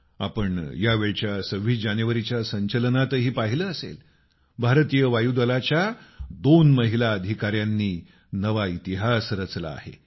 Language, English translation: Marathi, You must have also observed this time in the 26th January parade, where two women officers of the Indian Air Force created new history